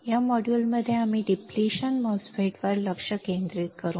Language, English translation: Marathi, In this module we will concentrate on depletion type MOSFET